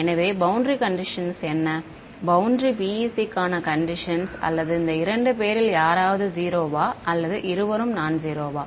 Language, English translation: Tamil, So, what are the boundary conditions what do boundary conditions for PEC say or any of these two guys zero or both are nonzero